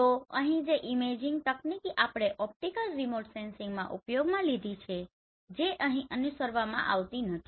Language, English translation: Gujarati, So here the imaging techniques which we used in optical remote sensing that is not followed here